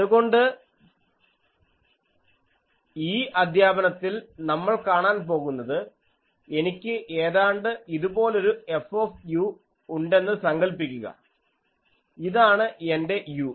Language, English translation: Malayalam, So, in this lecture, we will see suppose I have a F u something like this that this is my u